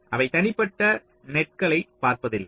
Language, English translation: Tamil, they do not look at individual nets